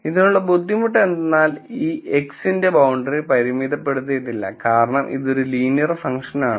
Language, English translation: Malayalam, The difficulty with this is, this p of x is not bounded because, it is just a linear function